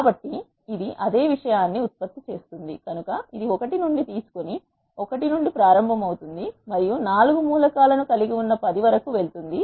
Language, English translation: Telugu, So, it will generate the same thing so it will take from one and start from 1 and and go up to 10 which contains 4 elements